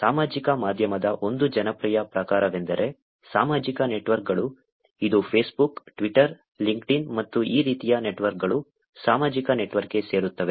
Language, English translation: Kannada, One popular type of social media is social networks, which is Facebook, Twitter, LinkedIn and networks like this falls into social network